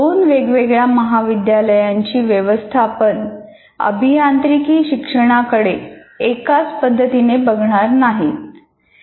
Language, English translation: Marathi, No two management will look at the engineering college in the same way